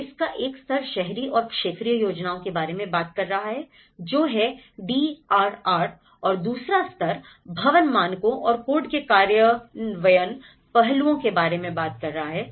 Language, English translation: Hindi, So, which is one level is talking about the urban and regional planning of it the DRR and the second level is talking about the implementation aspects of building standards and codes